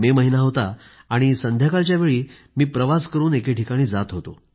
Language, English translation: Marathi, It was the month of May; and I was travelling to a certain place